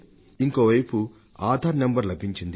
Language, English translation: Telugu, On the other hand, they have also got their Aadhar numbers